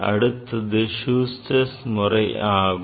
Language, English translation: Tamil, Next one is Schuster